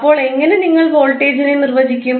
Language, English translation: Malayalam, Now, how will you define the voltage